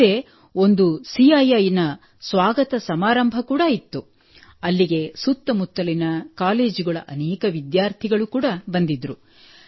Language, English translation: Kannada, Plus there was a CII Welcome Ceremony meanwhile, so many students from nearby colleges also came there